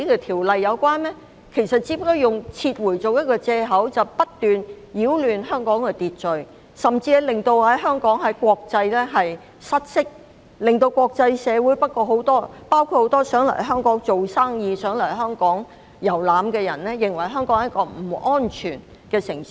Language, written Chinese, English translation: Cantonese, 他們其實只是以撤回為借口不斷擾亂香港的秩序，使香港在國際失色，令國際社會上很多想來香港做生意或遊覽的人士認為香港是一個不安全的城市。, Using the withdrawal purely as a pretext they are in fact engaging in an incessant campaign to disrupt the order of Hong Kong tarnish the international image of Hong Kong and giving those members of the international community who wish to come to Hong Kong for business or sight - seeing the impression that Hong Kong is an unsafe city